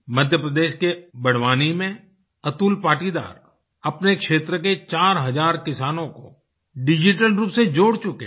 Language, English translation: Hindi, Atul Patidar of Barwani in Madhya Pradesh has connected four thousand farmers in his area through the digital medium